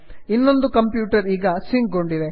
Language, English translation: Kannada, The other computer is also sync now